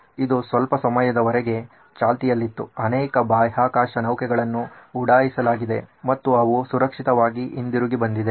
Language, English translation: Kannada, This is been on for a while, many many space shuttles have been launched and they have safely landed back